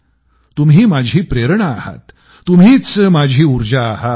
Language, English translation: Marathi, You are my inspiration and you are my energy